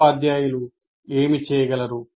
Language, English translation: Telugu, And what can the teachers do